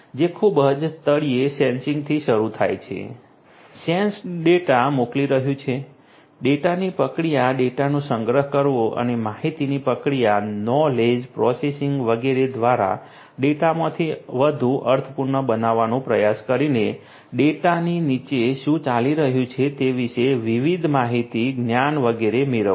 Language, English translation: Gujarati, It starts from Sensing at the very bottom; Sending the sensed data; Processing the data; Storing the data and getting different information knowledge etcetera about what is going on underneath from the data trying to make more sense out of the data, through information processing, knowledge processing and so on